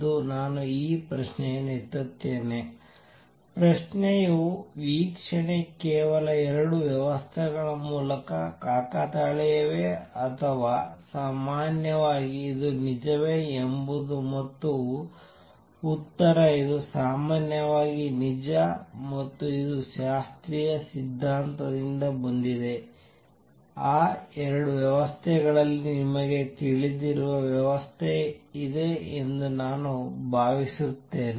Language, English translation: Kannada, So, let me raise this question; question is the observation is through only 2 systems a coincidence or is it true in general that is the question and the answer is this is true in general and this comes from the classical theory which says suppose there is a system of you know I have considered 2 systems